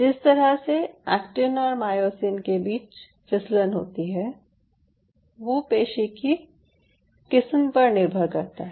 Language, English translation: Hindi, so this sliding motion of actin and myosin over one another is a function of the muscle type